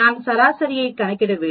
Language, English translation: Tamil, I need calculate the average